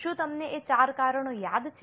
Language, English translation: Gujarati, Do you remember those four reasons